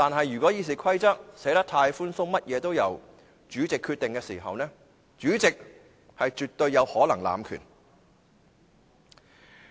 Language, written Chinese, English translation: Cantonese, 如果《議事規則》寫得太寬鬆，甚麼也是由主席決定，主席是絕對有可能濫權的。, If the Rules of Procedure are so loosely written that the President can make all the decisions it is absolutely possible that he will abuse his power